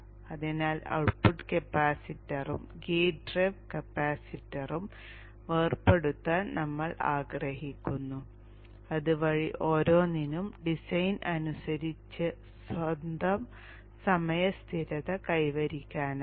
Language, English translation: Malayalam, So we would like to decouple the output capacitor and the gate rail capacitor so that each can independently have its own type constant as per design